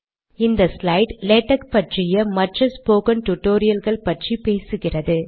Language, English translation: Tamil, This slide talks about other spoken tutorials on latex